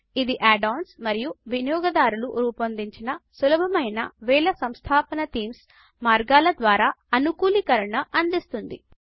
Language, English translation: Telugu, And it offers customization by ways of add ons and thousands of easy to install themes created by users